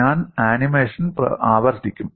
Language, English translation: Malayalam, I would repeat the animation